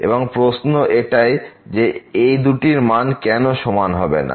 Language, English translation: Bengali, The question is why cannot be equal to